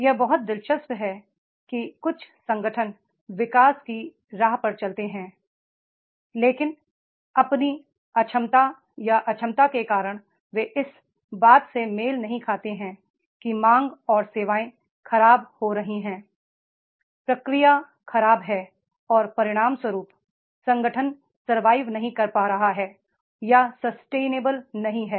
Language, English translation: Hindi, Some organizations they go on the path of the growth but because of their incapability or incompetency, they are not able to match that demand and the services are spoiled, feedback is bad and as a result, organizations are not able to survive or not becoming sustainable